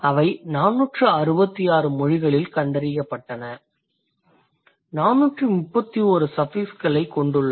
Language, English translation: Tamil, They found out of 466 languages there are 431 which have case suffixes